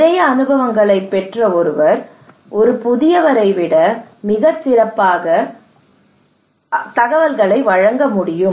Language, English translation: Tamil, Somebody has lot of experience he or she can deliver much better than a new person a fresh person